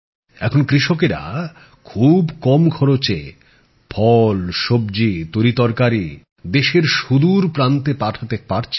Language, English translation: Bengali, Now the farmers are able to send fruits, vegetables, grains to other remote parts of the country at a very low cost